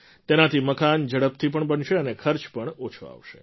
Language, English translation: Gujarati, By this, houses will get built faster and the cost too will be low